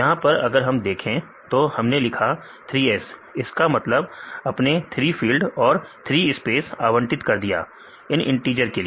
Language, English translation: Hindi, In this case, if we put dollar 3 S; then you allocate three fields for three spaces; for this integer